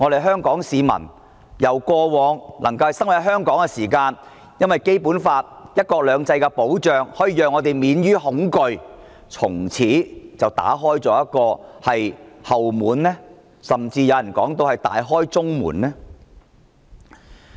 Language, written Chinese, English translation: Cantonese, 香港市民過往在香港生活，因為有《基本法》"一國兩制"的保障，可以免於恐懼，但修例後會否從此打開一道後門，甚至有人說，是大開中門？, In the past Hong Kong people living in Hong Kong could live without fear because of the protection under one country two systems provided by the Basic Law . After amendments to the laws will a back door be opened? . Or as someone has put it will the main gate lie open all the time?